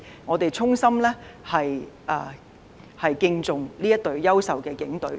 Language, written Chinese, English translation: Cantonese, 我們衷心敬重這支優秀的警隊。, We sincerely hold such an outstanding Police Force in esteem